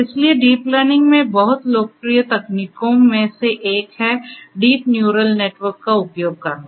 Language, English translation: Hindi, So, one of the very popular techniques in deep learning is to use deep neural network